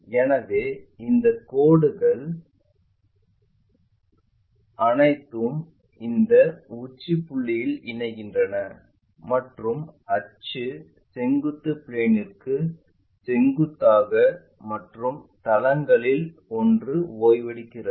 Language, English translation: Tamil, So, having apex all these points are going to connected there and axis perpendicular to vertical plane and one of the base is resting